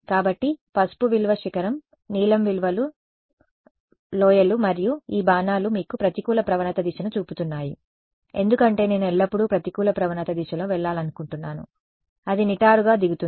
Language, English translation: Telugu, So, yellow value is the peak, blue values are the valleys and what are these arrows showing you these arrows are showing you the direction of the negative gradient because I want to always go in the direction of negative gradient that is the steepest descent that will take me to the minima